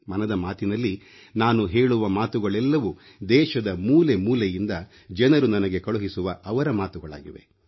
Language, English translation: Kannada, And when I say things in Mann Ki Baat, people from across the country send their ideas, experiences and feelings to me